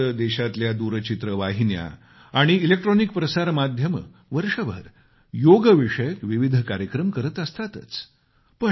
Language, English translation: Marathi, Usually, the country's Television and electronic media do a variety of programmes on Yoga the whole year